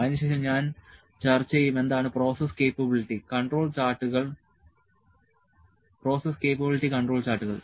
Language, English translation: Malayalam, Then I will discuss, what is process capability control charts